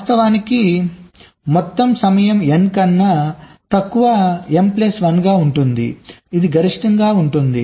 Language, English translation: Telugu, so actually the total time will less than n into m plus one